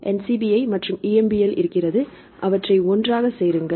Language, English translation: Tamil, So, NCBI and we have the EMBL